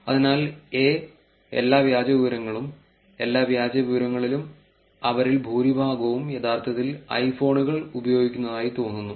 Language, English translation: Malayalam, So, a is all the fake information, in all the fake information it looks like majority of them are actually using iphone